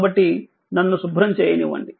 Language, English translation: Telugu, So, just let me clear it